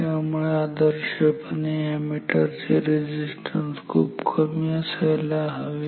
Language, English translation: Marathi, So, ideally an ammeter should have very low resistance